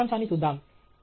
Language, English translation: Telugu, So, let’s look at the summary